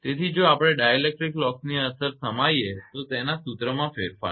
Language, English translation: Gujarati, So, effect of dielectric loss if we include this equation will be modified